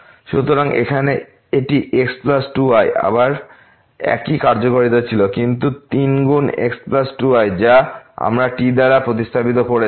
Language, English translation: Bengali, So, here it was plus 2 and again same functionality, but with the 3 times plus 2 which we have replaced by